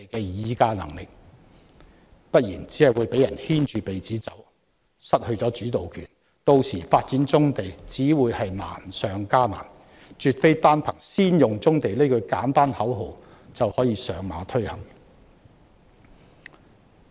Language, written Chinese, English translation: Cantonese, 若非如此，只會被人牽着鼻子走，失去主導權，屆時發展棕地只會難上加難，絕非單憑"先用棕地"這句簡單口號就可以推行。, If not the Government will only be led by the nose and lose its initiative . Then it will only be more difficult to execute the development of brownfield sites which cannot be achieved solely by chanting the simple slogan brownfield sites first